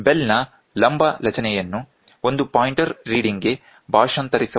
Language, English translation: Kannada, The vertical movement of the bell can be translated into a pointer reading